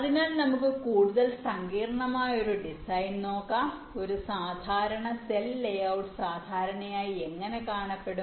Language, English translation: Malayalam, right, fine, so lets look at a more complex design, how a standard cell layout typically looks like